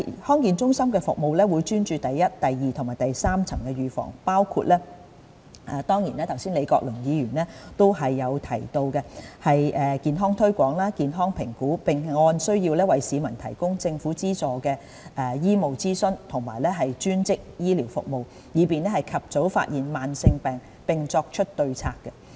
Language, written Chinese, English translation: Cantonese, 康健中心的服務會專注於第一、第二及第三層預防，包括剛才李國麟議員提到的健康推廣、健康評估，並按需要為市民提供政府資助的醫務諮詢及專職醫療服務，以便及早發現慢性疾病並作出對策。, The services offered in DHCs will focus on primary secondary and tertiary prevention including health promotion and health assessment as mentioned just now by Prof Joseph LEE . Government - subsidized medical consultation and allied health services will be provided to members of the public according to their needs so as to facilitate identification of chronic diseases at an early stage for timely intervention